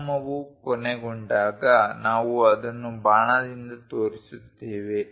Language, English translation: Kannada, When dimension is ending, we show it by arrow